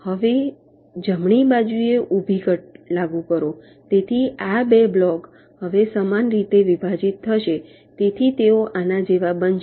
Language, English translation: Gujarati, now apply a vertical cut in the right hand side, so these two blocks will now get divided similarly